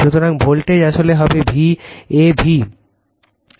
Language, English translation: Bengali, So, voltage actually it will be V a v